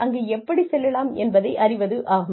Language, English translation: Tamil, And, you should know, how to get there